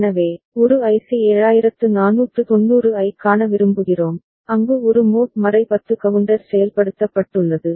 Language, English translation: Tamil, So, would like to see one IC 7490 ok, where we have a mod 10 counter implemented ok